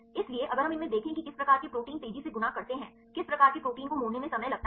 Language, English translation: Hindi, So, if we look in to these which type of proteins fold fast which type of proteins takes time to fold